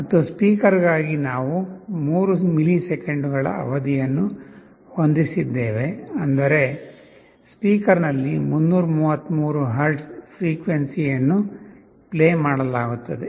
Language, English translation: Kannada, And for speaker we have set a period of 3 milliseconds that means 333 hertz of frequency will be played on the speaker